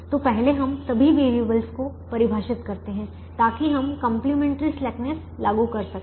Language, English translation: Hindi, so first let us define all the variables so that we can apply the complimentary slackness